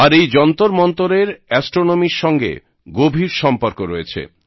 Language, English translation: Bengali, And these observatories have a deep bond with astronomy